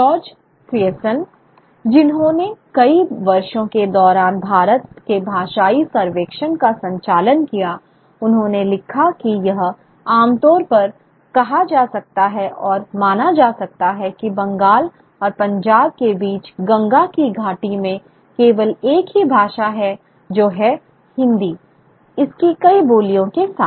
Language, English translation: Hindi, George Grierson who conducted the humongous linguistic survey of India for across several years, he wrote that, you know, it is commonly said and believed that throughout the Gangeshatic valley between Bengal and Punjab, there is only one language that is Hindi with its numerous dialects